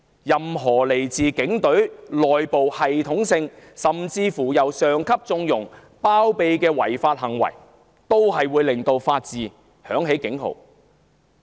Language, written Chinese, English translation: Cantonese, 任何來自警隊內部系統性，甚至由上級縱容、包庇的違法行為，都會令法治響起警號。, Any indication of unlawful acts within the Police Force being systematic even condoned and sheltered by superiors would be alarming to the rule of law